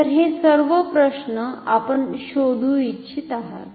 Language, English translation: Marathi, So, all these questions you want to find out